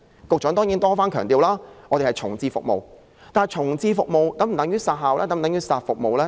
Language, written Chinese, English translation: Cantonese, 局長雖多番強調是重置服務，但重置服務是否等於要"殺服務"呢？, The Secretary has repeatedly stressed that services will be reprovisioned but is reprovisioning of the services required to be preceded by elimination of the services?